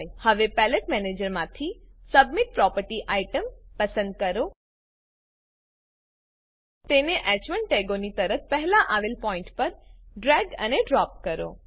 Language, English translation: Gujarati, Now from the Palette manager, Select a setbean property item, drag it and drop it to a point just before the h1 tags And click on OK